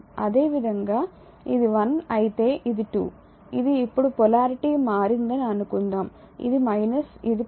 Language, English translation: Telugu, Similarly if it is this is 1 this is 2 now polarity has changed suppose this is minus this is plus